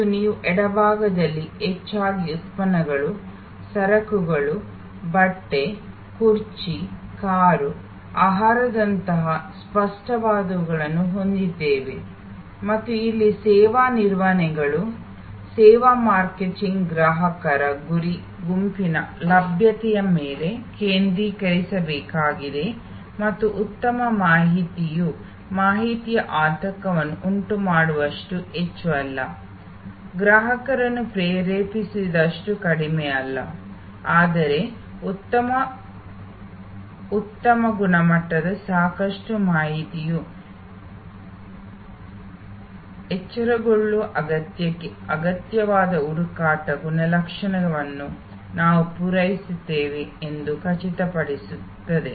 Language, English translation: Kannada, And as you can see then on the very left we have mostly products, goods, tangible like clothing, chair, a car, a food and here therefore, the service managements, service marketing has to focus on availability for the target group of customers sufficient and good information, not too much that can create information anxiety, not too little that the customer is not prompted, but good high quality enough information can ensure that we satisfy the search attribute needed to the arouse need